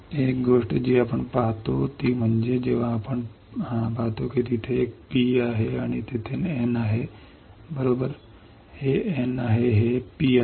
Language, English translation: Marathi, One thing what we see is since you see there is a P and there is a N right this is the N this is a P